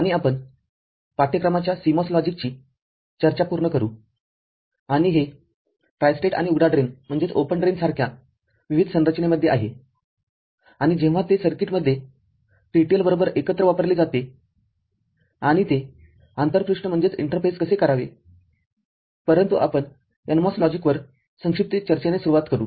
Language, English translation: Marathi, And we’ll cover CMOS logic of course, and it is various configurations like tri state and open drain and when it is used together with TTL in a circuit; how to interface, but we shall begin with a brief discussion on NMOS logic